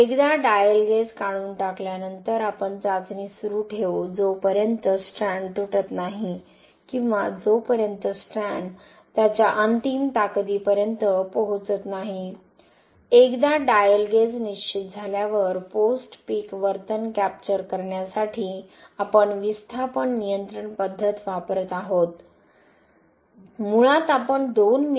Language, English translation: Marathi, Once the dial gauge is removed we will continue the test till the strand breaks or till strand reaches its ultimate strength, once the dial gauge is fixed, to capture the post peak behaviour, we are using displacement control method, basically we are applying 2 mm per minute loading rate, so now we will start the testing